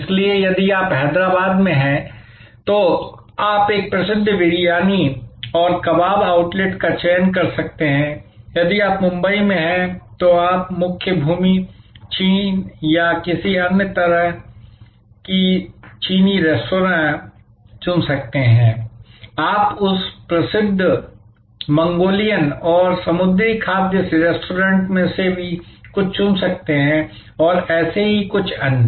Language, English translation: Hindi, So, if you are in Hyderabad, you can choose a famous Briyani and Kabab outlet, if you are in Mumbai, you can choose Chinese restaurant like Mainland China or any other variety, you could choose some of those famous Mangalorean and sea food restaurants and so on